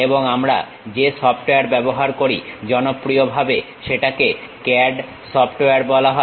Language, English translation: Bengali, And the software whatever we use is popularly called as CAD software